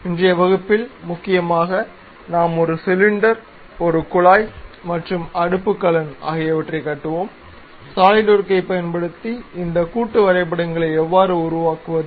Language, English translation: Tamil, In today's class mainly we will construct, a cylinder, a tube, and a hearth, how do you construct these things using Solidworks